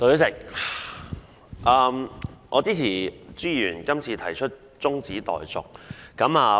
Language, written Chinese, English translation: Cantonese, 代理主席，我支持朱議員今次提出的中止待續議案。, Deputy President I support the adjournment motion proposed by Mr CHU this time around